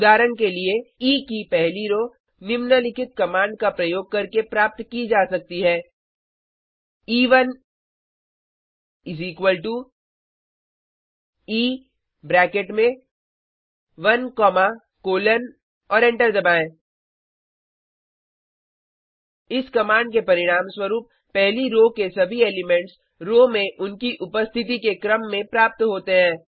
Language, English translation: Hindi, For example, first row of E can be obtained using the following command: E1 = E into bracket 1 comma colon and press enter The command returns all the elements of the first row in the order of their appearance in the row